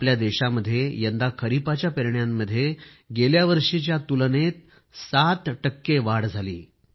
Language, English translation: Marathi, This time around in our country, sowing of kharif crops has increased by 7 percent compared to last year